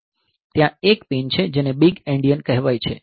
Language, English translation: Gujarati, In fact, there is a pin called big endian